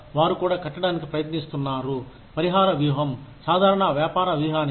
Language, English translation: Telugu, They are also trying to tie, compensation strategy to general business strategy